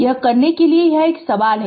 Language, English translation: Hindi, Right this a question to you